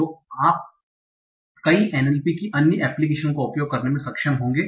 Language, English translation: Hindi, And you will be able to use that for many other applications in NLP also